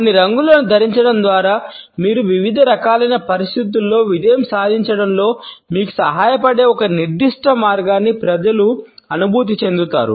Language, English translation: Telugu, By wearing certain colors you can make people feel a certain way which could help you succeed in a variety of different situations